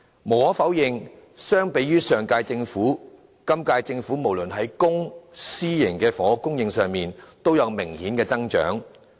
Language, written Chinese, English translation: Cantonese, 無可否認，相比於上屆政府，今屆政府任期內不論是在公、私營的房屋供應上，都有明顯的增長。, Undeniably in comparison with the previous - term Government there is obvious growth in both public and private housing supply within the term of the current Government